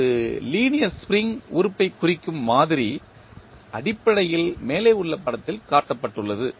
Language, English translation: Tamil, The model representing a linear spring element is basically shown in the figure above